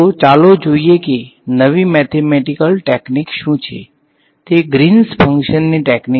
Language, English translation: Gujarati, So, let us go in to see what that the new mathematical technique is and that is the technique of greens functions ok